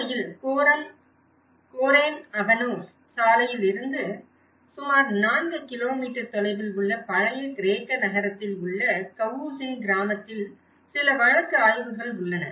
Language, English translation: Tamil, In fact, there are some of the case studies in Cavusin village in the old Greek town which is about 4 kilometres from the Goreme Avanos road